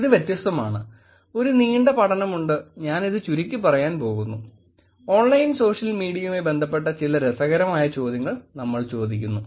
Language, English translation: Malayalam, So, this is different, there is a long study and I’m just going to make it really short we’re just making some interesting questions which is connected to online social media